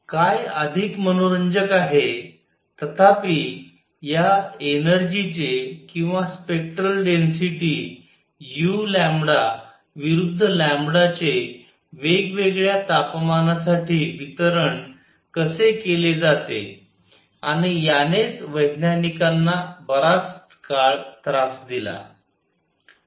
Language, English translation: Marathi, What is more interesting; however, is how is this energy distributed or the spectral density u lambda versus lambda for different temperatures and that is what bothered scientists for a long time